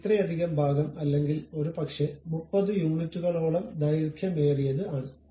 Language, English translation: Malayalam, So, whether this much portion or perhaps longer one, 30 units